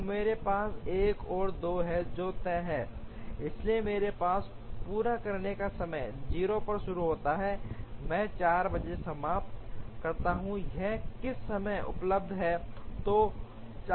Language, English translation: Hindi, So, I have 1 and 2 which are fixed, so I completion time is I start at 0, I finish at 4 by which time this is available